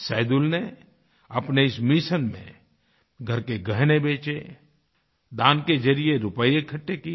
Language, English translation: Hindi, In this mission of his, Saidul sold off family jewellery and raised funds through charity